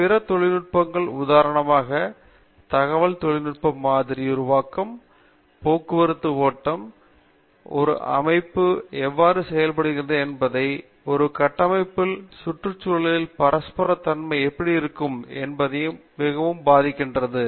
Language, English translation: Tamil, Then other technologies, for example, Information technology is affecting a lot, how we model and how we predict anything going from traffic flow to how a structure behaves and what are the interactions of environmental on a structure